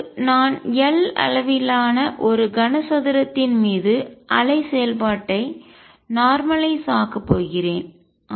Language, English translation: Tamil, And now I am going to normalize the wave function over a cube of size L